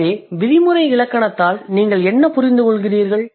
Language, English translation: Tamil, So, what do you understand by prescriptive grammar